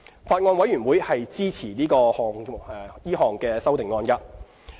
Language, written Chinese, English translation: Cantonese, 法案委員會支持該項修正案。, The Bills Committee agrees to the proposed amendment